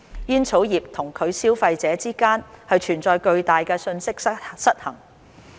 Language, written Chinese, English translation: Cantonese, 煙草業與其消費者之間存在巨大的信息失衡。, There is a huge information gap between the tobacco industry and its consumers